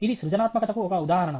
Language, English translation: Telugu, This is also an instance of creativity